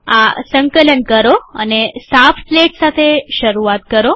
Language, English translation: Gujarati, Compile this and start with a clean slate